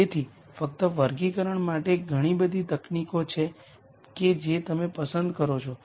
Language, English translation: Gujarati, So, just for classification there are so many techniques which one do you choose